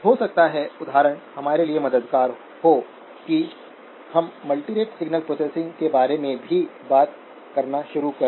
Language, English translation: Hindi, May be, example is helpful for us to even start talking about multirate signal processing